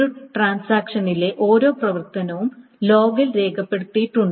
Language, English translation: Malayalam, Every transaction operation is recorded in the log